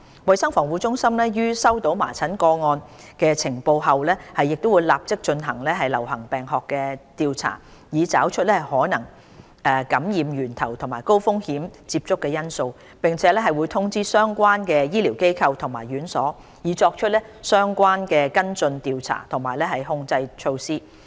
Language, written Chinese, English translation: Cantonese, 衞生防護中心於接獲麻疹個案的呈報後會立即進行流行病學調查，以找出可能的感染源頭和高風險接觸因素，並會通知相關的醫療機構和院所，以作出相應的跟進調查和控制措施。, Upon receiving notification of measles cases CHP will immediately commence epidemiological investigations to identify potential sources of infection and high - risk exposure and notify relevant medical facilities and institutions so as to take follow - up investigations and control measures